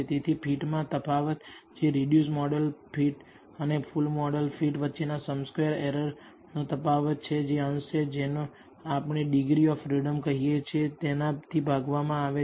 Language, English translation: Gujarati, So, the difference in the fit which is difference in the sum squared errors between the reduced model fit and the full model fit that is the numerator, divided by what we call the degrees of freedom